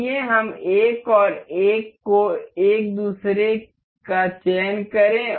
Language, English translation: Hindi, Let us just select 1 and 1 to each other